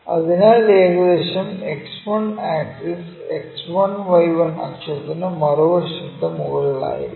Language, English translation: Malayalam, So, about X 1 axis X1Y1 axis it will be above on the other side